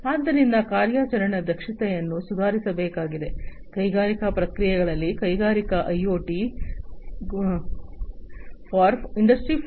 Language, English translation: Kannada, So, operational efficiency will have to be improved, it gets improved with the incorporation of Industrial IoT for Industry 4